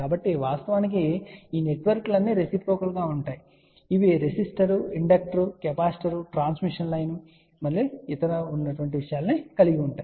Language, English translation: Telugu, So in fact, all these networks will be reciprocal which have let us say resistor, inductor, capacitor, transmission line other thing